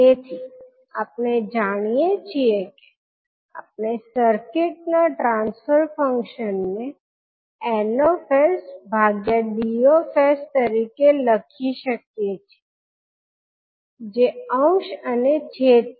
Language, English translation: Gujarati, So we know that we the transfer function of the circuit can be written as n s by d s that is numerator and denominator